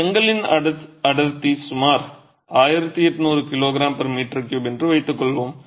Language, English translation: Tamil, Let's assume the density of brick, density of brick to be about 1,800 kG per meter cube